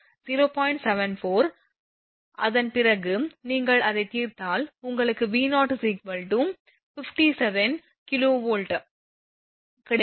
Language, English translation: Tamil, 74 after that you solve it you will get 57 kV